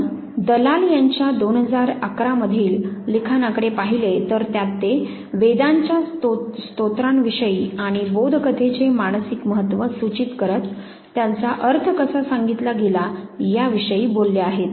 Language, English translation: Marathi, If you look at the work of Dalal 2011 war, he has talked about know the hymns of Vedas and how it has been interpreted signifying the psychological significance of the parables